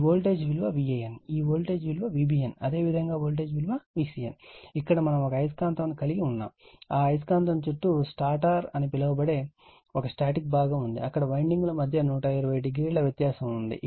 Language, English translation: Telugu, So, this is voltage V a n, this is V b n, and this is your V c n right so that means, basically what a your you have you have a magnet if it is rotating it is rotating, and is surrounded by a static part that is called stator, where windings are placed 120 degree apart right, 120 degree apart as the magnet is rotating right